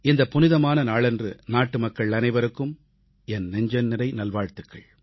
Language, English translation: Tamil, My heartiest greetings to countrymen on this pious, festive occasion